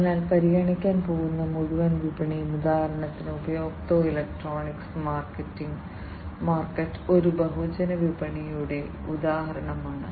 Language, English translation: Malayalam, So, the whole market that is going to be considered, for example the consumer electronics market is an example of a mass market